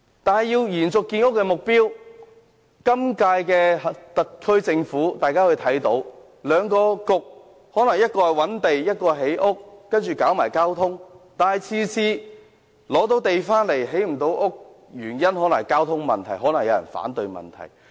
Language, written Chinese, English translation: Cantonese, 我們看到，今屆特區政府內有兩個政策局，一個負責覓地，一個負責建屋和交通，但即使成功覓得土地，也無法建成房屋，可能是因為交通問題或有人反對。, As we can see in the current Government the work of identifying lands and the responsibility for housing construction and transport are undertaken respectively by two Policy Bureaux . But even if lands can be identified it may not be possible to construct any housing due to transport problems or peoples opposition